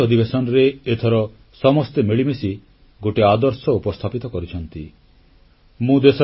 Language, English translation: Odia, In the Monsoon session, this time, everyone jointly presented an ideal approach